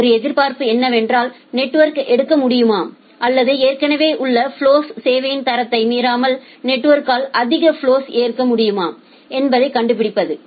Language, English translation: Tamil, One expectation was to find out whether the network can take or the whether the network can accept more flows without violating the quality of service of the existing flows